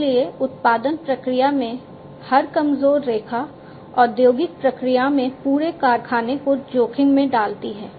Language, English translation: Hindi, So, every week line in the production system, in the industrial process puts the whole factory at risk